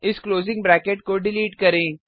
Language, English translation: Hindi, Delete this closing bracket